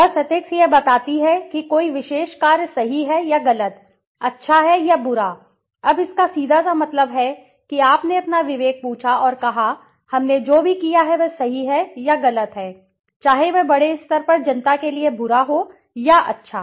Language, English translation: Hindi, Simply ethics addresses whether a particular action is right or wrong, good or bad, now simply that means what, you asked your conscience and say, whatever we have done is right or wrong, whether it is bad or good for the public at large